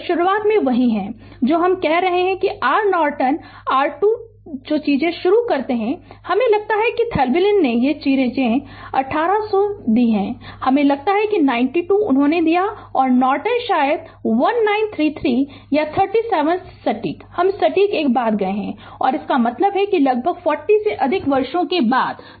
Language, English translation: Hindi, They are same at the beginning I am telling that R Norton is equal to R thevenin, that begin things I think Thevenin give these thing eighteen 100 I think 92 he gave and Norton probably 1933 or 37 exact I have forgotten exact thing and I am; that means, are nearly after more than 40 years right